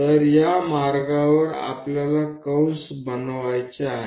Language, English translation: Marathi, So, on these lines we have to make arcs